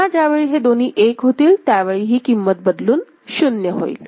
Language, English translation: Marathi, Again it will change when both of them are 1, and it will value will change to 0 ok